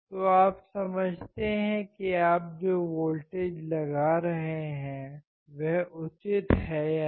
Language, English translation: Hindi, So, you understand whether the voltage that you are applying make sense or not